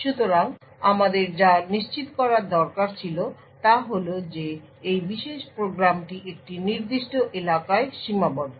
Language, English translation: Bengali, So, what we needed to ensure was that we needed to ensure that this particular program is confined to a specific area